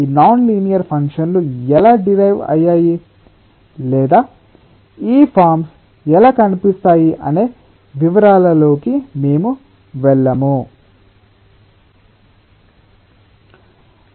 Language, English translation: Telugu, we will ah not go into the details of how this nonlinear functions are derived or how these forms look like